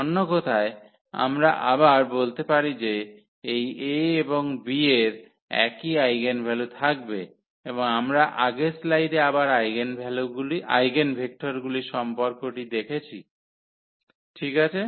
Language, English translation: Bengali, In other words, we can say again that this A and B will have the same eigenvalues and we have seen again in the previous slide here the relation for the eigenvectors as well ok